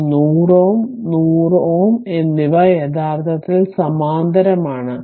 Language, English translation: Malayalam, So, this 100 ohm and 100 ohm actually they are in parallel right